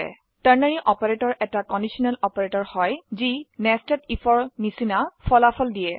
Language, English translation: Assamese, Ternary Operator is a conditional operator providing results similar to nested if